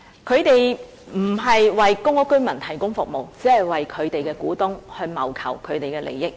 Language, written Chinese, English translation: Cantonese, 它並非為公屋居民提供服務，而是只為其股東謀求利益。, It is not providing services to residents in public housing estates rather it is only working for the interests of its shareholders